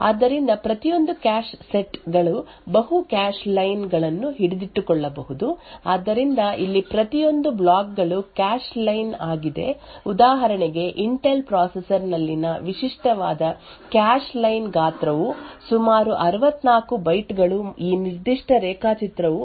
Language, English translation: Kannada, So, each cache set could hold multiple cache lines so each of these blocks over here is a cache line a typical cache line size in an Intel processor for instance is around is 64 bytes this particular diagram over here shows that there are 4 cache lines present in a cache set therefore the associativity of this particular cache is four